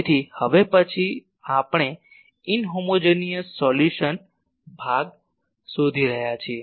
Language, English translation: Gujarati, So, next we are finding the inhomogeneous solution part